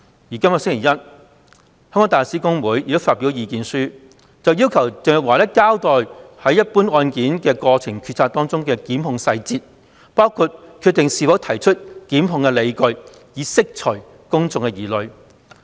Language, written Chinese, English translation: Cantonese, 本星期一，香港大律師公會亦發表了意見書，要求鄭若驊交代一般案件的決策過程及檢控細節，包括是否決定提出檢控的理據，以釋除公眾疑慮。, This Monday the Hong Kong Bar Association also issued a submission urging Teresa CHENG to explain the decision - making process and prosecutorial details in general cases including the grounds for deciding whether to prosecute a case so as to alleviate public concern